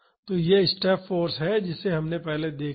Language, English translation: Hindi, So, this is the step force we have seen earlier